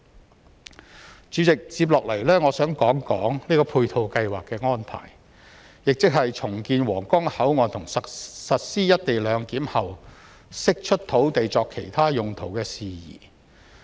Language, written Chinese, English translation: Cantonese, 代理主席，接下來我想談談配套計劃的安排，亦即是重建皇崗口岸及實施"一地兩檢"後釋出土地作其他用途的事宜。, Deputy President next I wish to talk about the supporting planning that is the land to be released for other uses from the redevelopment of the Huanggang Port and the implementation of the co - location arrangement